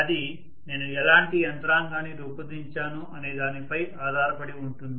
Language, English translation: Telugu, It depends upon what kind of mechanism I have designed